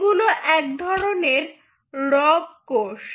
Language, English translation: Bengali, they are kind of rogue cells